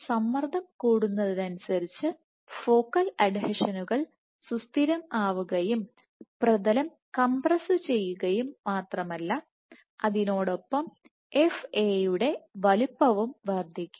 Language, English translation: Malayalam, The more the tension and if the focal adhesions are stabilized then the substrate will get compressed and not just substrate compression you can say along with this the FA size will also increase